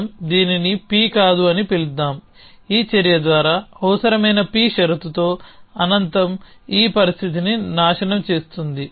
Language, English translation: Telugu, Lets us call it not p which can the infinite with a condition p needed by the this action which means is pointed destroyed this condition